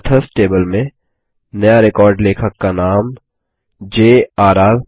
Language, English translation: Hindi, Insert a new record into the Authors table author name as J.R.R